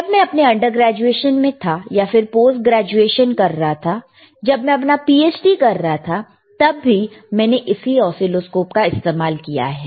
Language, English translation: Hindi, wWhen I was in my undergrad, or when I was doing my post graduation, or even I when I was doing my PhD I used this oscilloscope